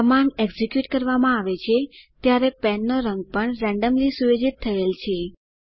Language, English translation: Gujarati, The color of the pen is also set randomly when the command is executed